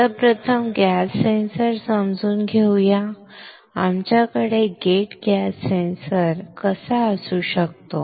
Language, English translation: Marathi, So, let us understand first gas sensor; how can we have a gate gas sensor